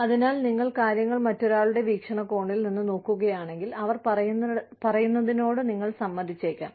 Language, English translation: Malayalam, So, if you look at it, things from somebody else's perspective, you may agree to, what they are saying